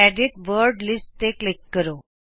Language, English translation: Punjabi, Click Edit Word Lists